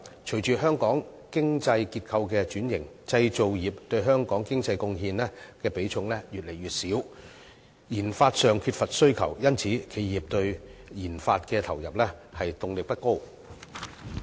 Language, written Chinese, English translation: Cantonese, 隨着香港經濟結構的轉型，製造業對香港經濟貢獻的比重越來越少，研發上缺乏需求，因此企業對研發的投入動力不高。, Following the restructuring of the Hong Kong economy the contribution made by the manufacturing industries to the economy is on the decline and the demand for RD is lacking . As a result the enterprises have little motivation to make injections into RD